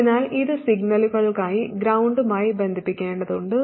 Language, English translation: Malayalam, So this has to get connected to ground for signals